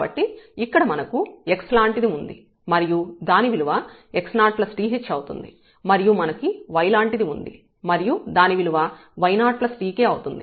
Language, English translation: Telugu, So, here we have like x and here we have y where the x is x 0 plus this th and this y is y 0 plus tk